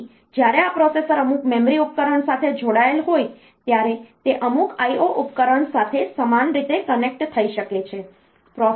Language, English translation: Gujarati, So, when it is when this processor is connected to some memory device, it can also be connected in a similar fashion to some I O device